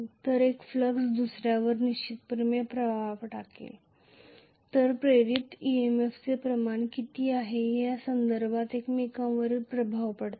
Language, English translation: Marathi, If one flux is going to influence the other one definitely they will be influencing each other in terms of what is the amount of induced EMF